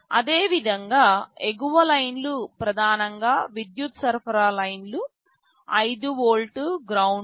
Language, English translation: Telugu, Similarly, the upper lines are primarily power supply lines, 5 volt, ground, 3